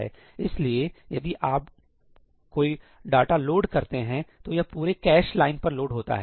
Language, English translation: Hindi, So, once you load some data, it loads the entire cache line